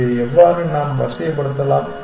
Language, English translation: Tamil, How can we sort of get this